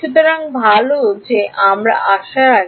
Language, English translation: Bengali, So, well before we come to that